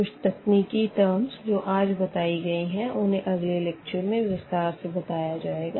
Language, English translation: Hindi, So, some technical terms I am just mentioning here, but they will be discussed in the next lecture